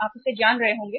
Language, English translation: Hindi, You must be knowing it